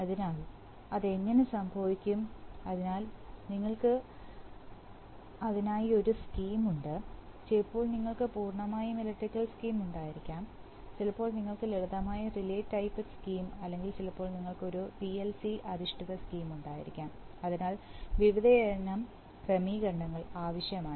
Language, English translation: Malayalam, So how does that happen, so you have to have a scheme for that, sometimes you can have a purely electrical scheme, sometimes you can have a simple, you know sometimes you can have a simple relay type scheme or sometimes you can have a PLC based scheme, so various special arrangements are needed